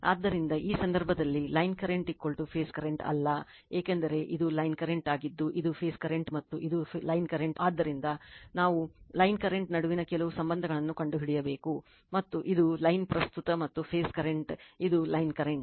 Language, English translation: Kannada, So, in this case line current is not is equal to phase current because, this is the line current after that this is the phase current and this is the line current so, we have to find out some relationships between the line current and this is the line current and phase current this is the line current right